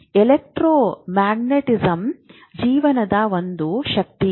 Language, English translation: Kannada, There is a electromagnetism is one of the forces of life